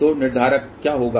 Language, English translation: Hindi, So, what will be the determinant